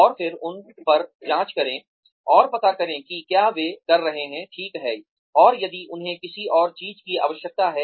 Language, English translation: Hindi, And again, check on them, and find out, if they are doing, okay, and if they need anything else